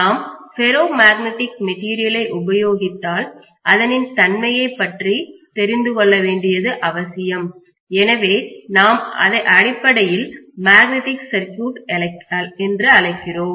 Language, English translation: Tamil, But because we are using ferromagnetic material it is very essential to know about the behavior of ferromagnetic materials; so, which we call as basically magnetic circuit